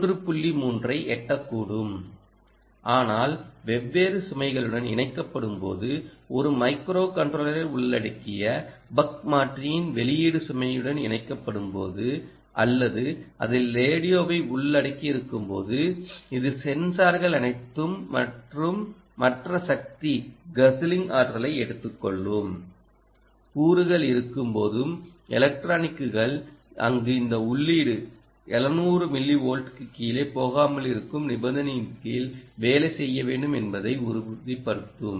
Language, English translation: Tamil, point three: but this loading, when there are different loads being connected, when the output of the ah buck convertor is connected to the load, which could include a micro controller or it could include the radio, it could include sensors all of that ah, um and there are other power guzzling power consuming components, it will ensure the electronics there will have to work under the constraint that this input will never go below seven hundred millivolt